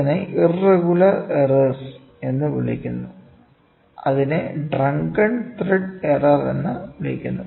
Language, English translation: Malayalam, And the third one is called as irregular errors which is called as drunken thread error